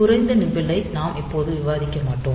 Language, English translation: Tamil, So, lower nibble we will not discuss now